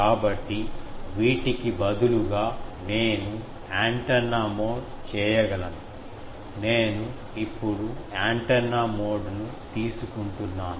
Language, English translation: Telugu, So, instead of these, I can antenna mode, I am now taking antenna mode